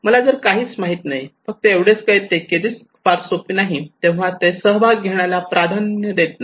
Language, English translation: Marathi, That if I do not know only knowing the risk is not easy, so they prefer not to participate